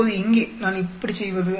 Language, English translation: Tamil, Now here, how do I do